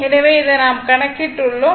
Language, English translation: Tamil, So, this one we have computed , this one we have computed